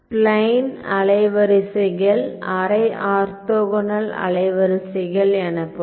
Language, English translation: Tamil, So, spline wavelets are semi orthogonal wavelets ok